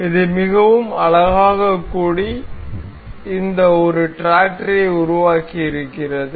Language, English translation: Tamil, This is been very beautifully assembled to form this one tractor